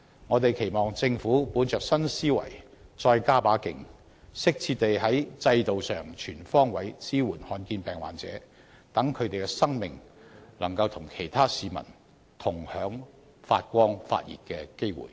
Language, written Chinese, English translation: Cantonese, 我們期望政府本着新思維再加把勁，適切地在制度上全方位支援罕見疾病患者，讓他們的生命可以與其他市民同享發光發熱的機會。, We hope that the Government with this new mindset will devote more efforts to appropriately providing comprehensive support in the system for patients with rare diseases so that they can live a vibrant life just like other people